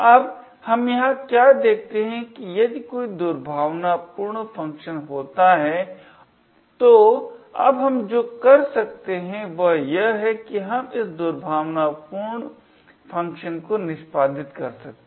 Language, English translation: Hindi, Now what we see here is that there is a malicious function, now what we can do is we can actually trick this entire thing into executing this malicious function